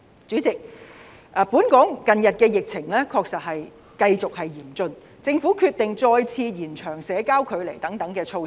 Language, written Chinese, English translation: Cantonese, 主席，本港近日的疫情繼續嚴峻，政府決定再次延長社交距離等措施。, President Hong Kongs pandemic situation in recent days has remained serious thus the Government has decided to further extend the social distancing measures